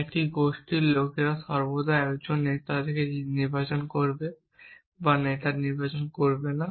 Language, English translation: Bengali, A group people will always elect a leader or not elect a leader a would be unable to elect a leader